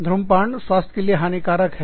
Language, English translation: Hindi, Please, smoking is very bad for health